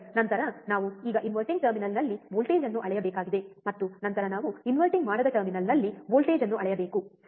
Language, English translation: Kannada, Then we have to now measure the voltage at the inverting terminal, and then we have to measure the voltage at the non inverting terminal, alright